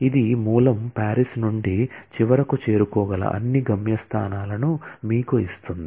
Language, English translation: Telugu, This gives you all the destinations that can eventually be reached from the source Paris